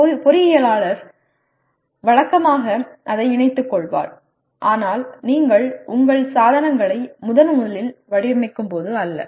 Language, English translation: Tamil, Maybe an engineer routinely incorporates that but not when you first time design your equipment